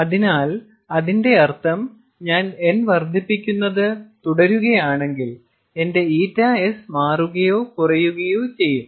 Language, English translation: Malayalam, so what it means is, if i keep on increasing n, my eta s will also change, or rather reduce